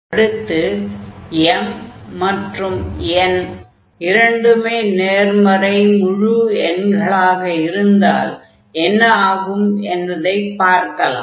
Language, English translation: Tamil, So, this is the formula when m and n both are integers